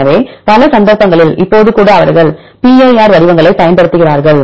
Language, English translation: Tamil, So, in several cases even now they use pir formats